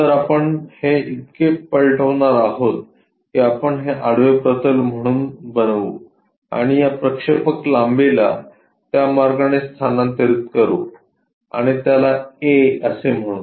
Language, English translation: Marathi, So, this one we are going to flip it so, that we can construct this one as the horizontal plane and transfer this projector length in that way and call that one a